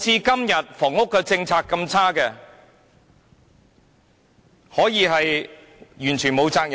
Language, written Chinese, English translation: Cantonese, 今天的房屋政策那麼差，政府完全沒有責任嗎？, Todays housing policy is so bad . Is the Government entirely blameless?